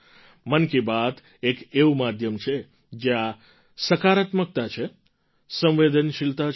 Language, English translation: Gujarati, Mann Ki Baat is a medium which has positivity, sensitivity